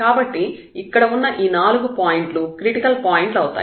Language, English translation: Telugu, So, all these 4 points are there which are the critical points